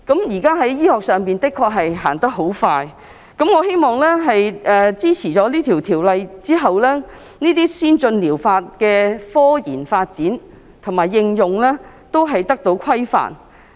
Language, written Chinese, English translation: Cantonese, 現代醫學一日千里，我希望《條例草案》獲通過後，這些先進療法製品的科研發展和應用都得到規範。, Modern medicine progresses rapidly . Upon passage of the Bill I hope that the scientific research and application of ATPs will be regulated